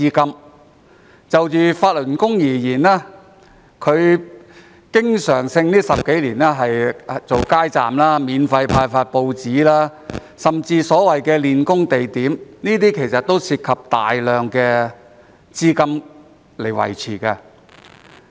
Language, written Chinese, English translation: Cantonese, 近10多年來，法輪功經常舉辦街站、免費派發報紙，甚至有所謂的練功地點，這些都涉及大量資金。, In the past decade or so Falun Gong frequently set up street counters distributed newspapers for free and even provided venues for the so - called exercises all of which involved substantial funds